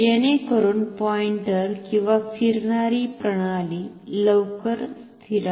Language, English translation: Marathi, So, that the pointer or the moving system settles down quickly